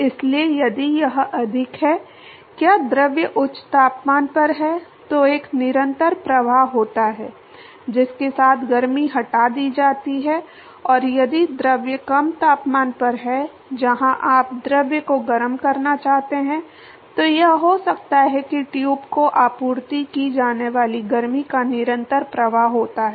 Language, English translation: Hindi, So, if it is at a higher, is the fluid is at higher temperature then there is a constant flux with at which the heat is removed and if the fluid is at a lower temperature where you want to heat the fluid, then it could be that there is the constant flux of heat that is supplied to the tube